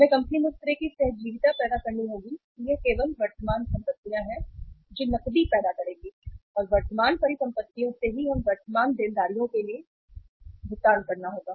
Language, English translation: Hindi, We have to create that kind of symbiosis that kind of situation in the company that it is only the current assets who would generate the cash and from the current assets only we will have to pay for the current liabilities